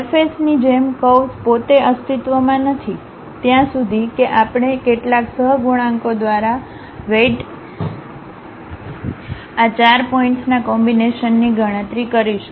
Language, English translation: Gujarati, As with the surfaces, the curve itself does not exist, until we compute combining these 4 points weighted by some coefficients